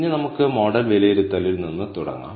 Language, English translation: Malayalam, Now, let us start with model assessment